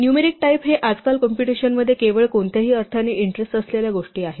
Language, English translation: Marathi, Numeric types by no means the only things that are of interest these days in computation